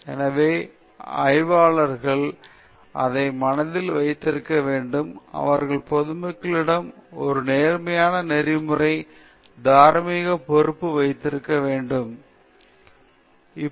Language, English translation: Tamil, So, researchers should keep this in mind that they have a positive ethical, moral responsibility towards public; that their work should benefit the public in a significant manner